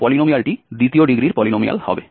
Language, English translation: Bengali, So, we can fit a polynomial of degree 3 as well